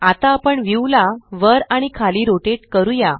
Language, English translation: Marathi, Now we rotate the view up and down